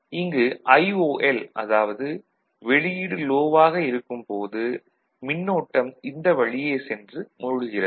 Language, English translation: Tamil, So, IOL when the output is low the current that is being sunk in